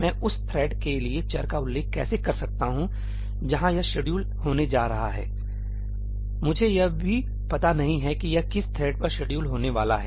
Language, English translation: Hindi, How can I refer to the variables for the thread where it is going to get scheduled I do not even know which thread it is going to get scheduled on